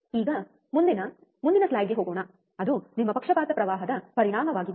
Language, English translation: Kannada, Now, let us go to the next one next slide, which is your effect of bias current